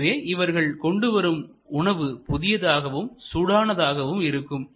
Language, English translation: Tamil, So, that the food is still almost hot and fresh